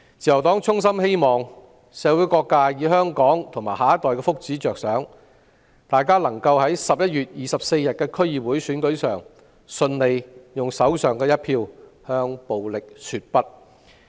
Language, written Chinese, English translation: Cantonese, 自由黨衷心希望社會各界為香港及下一代的福祉着想，在11月24日的區議會選舉上，用手上一票向暴力說不。, The Liberal Party sincerely hopes that for the well - being of Hong Kong and our next generation all sectors of the community should say no to violence by voting in the DC Election on 24 November